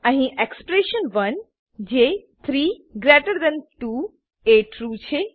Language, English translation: Gujarati, Here, expression1 that is 32 is true